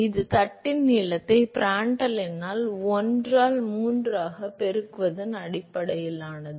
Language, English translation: Tamil, This is based on the length of the plate multiplied by Prandtl number to the power of 1 by 3 ok